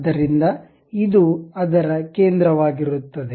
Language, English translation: Kannada, So, it will be center of that